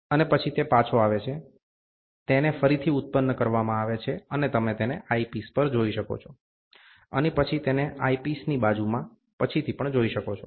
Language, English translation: Gujarati, And then it comes back, they get reconstructed, and you can see it at the eyepiece, and then you can subsequently see it in the in the eyepiece side